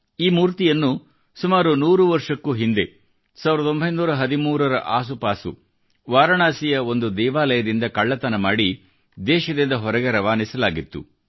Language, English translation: Kannada, This idol was stolen from a temple of Varanasi and smuggled out of the country around 100 years ago somewhere around 1913